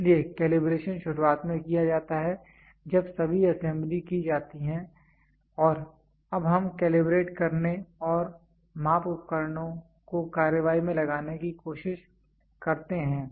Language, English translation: Hindi, So, calibration is done at the beginning when all the assembly is done and now we try to calibrate and put the measuring equipment into action